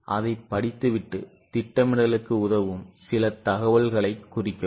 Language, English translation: Tamil, So, go on reading it and mark some information which is going to help us for projection